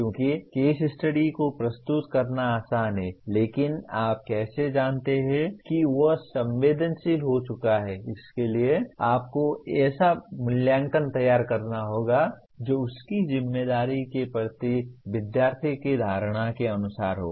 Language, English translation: Hindi, Because it is easy to present the case study but how do you know that he has been sensitized, so you have to design assessment that could be in terms of student’s perception of his responsibility